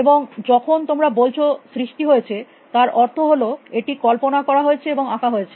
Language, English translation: Bengali, And when you say created, you mean visualized and drawn